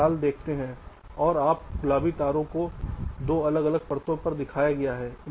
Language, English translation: Hindi, you see red and this pink wires are shown on two different layers